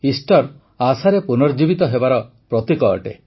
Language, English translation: Odia, Easter is a symbol of the resurrection of expectations